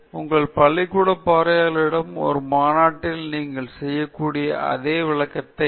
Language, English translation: Tamil, So, you cannot just make the same presentation that you make in a conference to your school audience